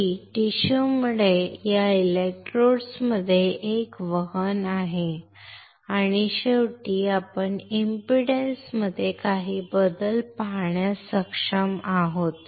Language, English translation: Marathi, That because of the tissue, there is a conduction between this electrodes and finally, we will be able to see some change in impedance